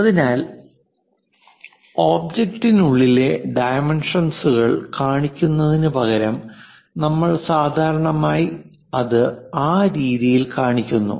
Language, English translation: Malayalam, So, instead of showing within the dimensions within the object we usually show it in that way